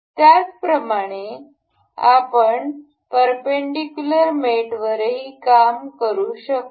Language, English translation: Marathi, Similarly, we can work on the perpendicular mate as well